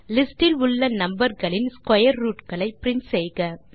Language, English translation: Tamil, Print the square root of numbers in the list